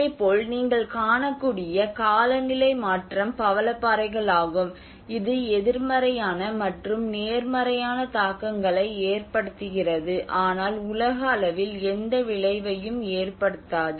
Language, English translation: Tamil, So and similarly the climate change like what you can see is the coral reefs, which has a negative and positive impacts and no effect on the global level